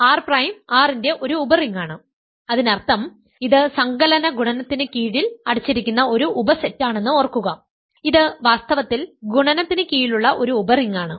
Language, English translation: Malayalam, R prime is a subring of R; that means, remember that it is a subset which is closed under addition multiplication and it is in fact, in a subgroup under addition and so on